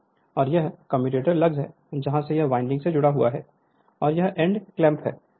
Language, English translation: Hindi, And this is your commutator lugs from here where it is connected to the winding, and this is your end clamp